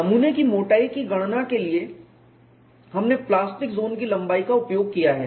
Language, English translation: Hindi, For the specimen thickness calculation, we have utilized the plastic zone length